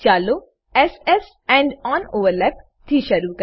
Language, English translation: Gujarati, Lets start with s s end on overlap